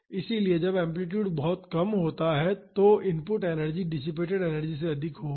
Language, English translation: Hindi, So, when the amplitude is low the input energy will be higher than the dissipated energy